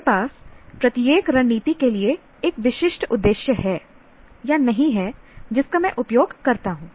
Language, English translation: Hindi, I have, do not have a specific purpose for each strategy that I use